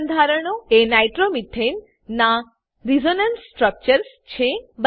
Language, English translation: Gujarati, The two structures are Resonance structures of Nitromethane.